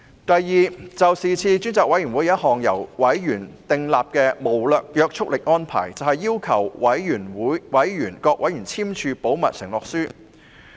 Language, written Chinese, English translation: Cantonese, 第二，專責委員會亦曾訂立一項無約束力安排，要求各委員簽署保密承諾書。, Secondly the Select Committee has also made a non - binding arrangement requiring all members to sign a confidentiality undertaking